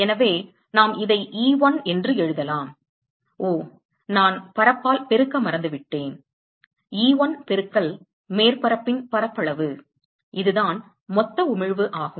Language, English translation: Tamil, So, we can write this as E1, oh, I forgot to multiply by area, E1 into area of the surface that is the total emission